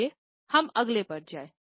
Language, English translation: Hindi, Let us go to the next one